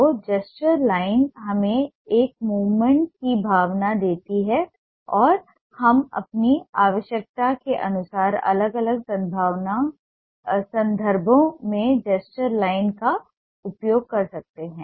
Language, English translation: Hindi, so gesture line gives us a sense of a movement and we use gesture line in ah different contexts as per its need